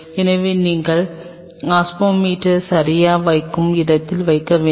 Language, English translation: Tamil, So, you have to have a spot where you will be putting the osmometer ok